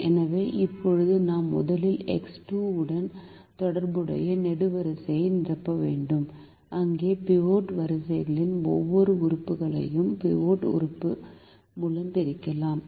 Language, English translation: Tamil, so now we have to first fill the column corresponding to x two, where we divide every element of the pivot row by the pivot element